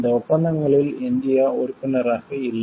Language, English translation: Tamil, India is not a member of these treaties is there